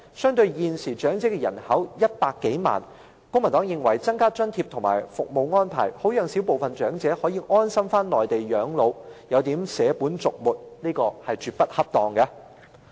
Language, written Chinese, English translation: Cantonese, 相對於現時香港有100多萬名長者人口，公民黨認為增加津貼和服務安排，讓小部分長者可以安心返回內地養老的建議，有點捨本逐末，絕不恰當。, In contract Hong Kong has over 1 million elderly population . The Civic Party holds that it is putting the cart before the horse and is absolutely inappropriate to provide more allowances and make more service arrangements for the minority elderly persons to return to the Mainland for their twilight years